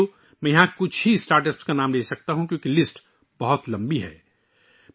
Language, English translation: Urdu, Friends, I can mention the names of only a few Startups here, because the list is very long